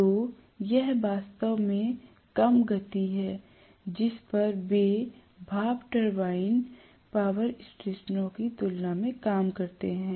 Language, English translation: Hindi, So it is really, really a lower speed at which they work as compared to the steam turbine power stations